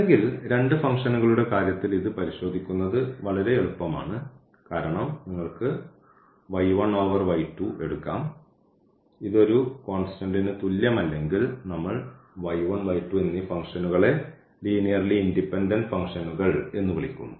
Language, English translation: Malayalam, Or for the case of two functions this is very easy to check because you can take just y 1 by y 2 is divide the two functions and if this is not equal to constant then we call that this is linearly these functions are linearly independent and this is equal to constant then the functions are linearly dependent